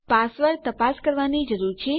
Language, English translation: Gujarati, We need to check our password